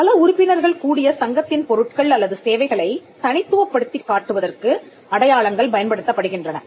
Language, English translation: Tamil, Collective marks are used for distinguishing goods or services of members of an association of persons